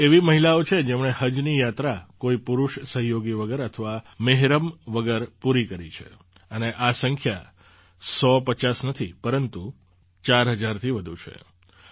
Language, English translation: Gujarati, These are the women, who have performed Hajj without any male companion or mehram, and the number is not fifty or hundred, but more than four thousand this is a huge transformation